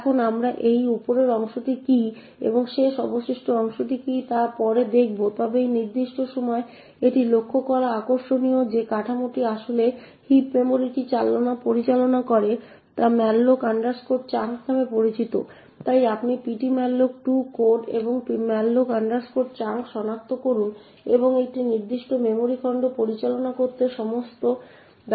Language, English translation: Bengali, Now we will look at what this top chunk is and what last remainder chunk is later on but at this particular point of time it is interesting to note that the structure that actually manages this heap memory is known as the malloc chunk, so you can look up the ptmalloc2 code and locate this malloc chunk and see all the entries that are used to manage a particular memory chunk